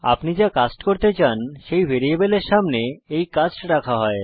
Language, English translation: Bengali, This cast is put in front of the variable you want to cast